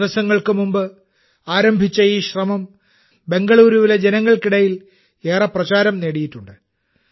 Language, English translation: Malayalam, This initiative which started a few days ago has become very popular among the people of Bengaluru